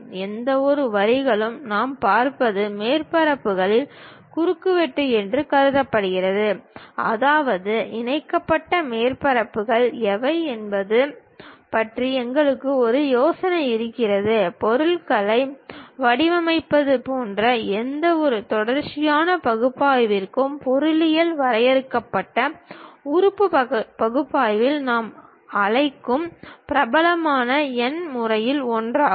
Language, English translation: Tamil, Any lines what we are seeing this supposed to be intersection of surfaces; that means, we have idea about what are the surfaces connected with each other; for any continuum analysis like designing the objects, one of the popular numerical method what we call in engineering finite element analysis